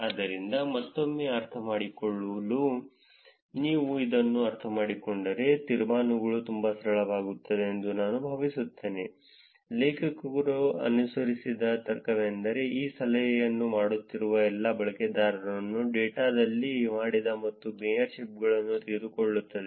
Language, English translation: Kannada, So, again just to understand, if you understand this I think the inferences become much simple, the logic the authors followed is that take all the users who are been doing this tip, dones and mayorships in the data